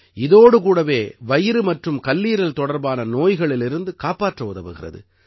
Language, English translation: Tamil, Along with that, they are also helpful in preventing stomach and liver ailments